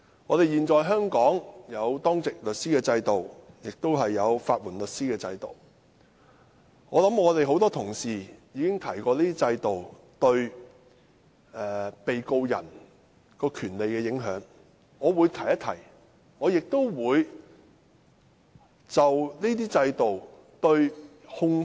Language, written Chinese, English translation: Cantonese, 香港現時設有當值律師制度及法援制度，多位議員亦已討論有關制度對被告人的權利有何影響，因此我只會略提。, In Hong Kong the duty lawyer system and the legal aid system are now in operation . As a number of Members have discussed the impact of the relevant systems on the rights of defendants I will only talk about them briefly